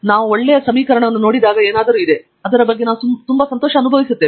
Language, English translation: Kannada, There is something when we look at a nice equation, we feel very nice about it